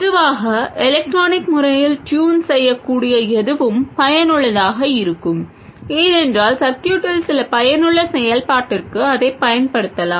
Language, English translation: Tamil, In general, anything that is electronically tunable is useful because you can use it for some useful function in the circuit